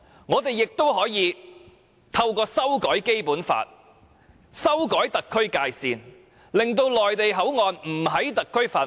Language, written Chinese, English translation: Cantonese, 我們亦可以透過修改《基本法》及修改特區的界線，令內地口岸區不屬於特區範圍。, We can also make MPA an area lying outside HKSAR by amending the Basic Law and revising HKSARs boundaries